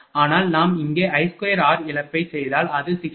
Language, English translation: Tamil, But, if we do I square r loss here it is coming 60